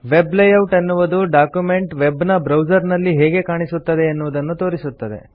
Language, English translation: Kannada, The Web Layout option displays the document as seen in a Web browser